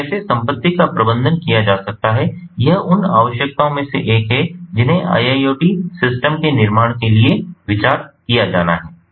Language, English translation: Hindi, so how the assets can be managed, this is one of the requirements that have to be considered for building iiot systems